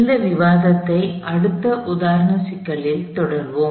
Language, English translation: Tamil, We will continue this discussion in the next example problem